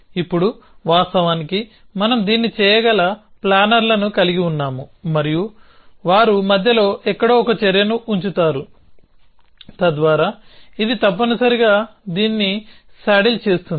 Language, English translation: Telugu, Now of course, we have planners which can do this and they would place an action somewhere in between so that this saddles this essentially